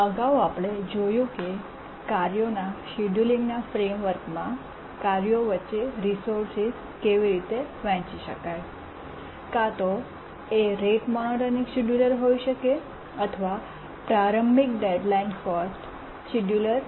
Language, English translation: Gujarati, In the last lecture, we are looking at how resources can be shared among tasks in the framework of tasks scheduling may be a rate monotonic scheduler or an earliest deadline first scheduler